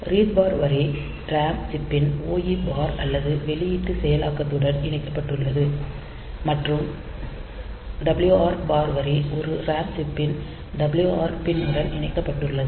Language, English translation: Tamil, So, read bar line is connected to the OE bar or output enable of this ram chip and the WR bar line is connected to the WR pin of the a RAM chip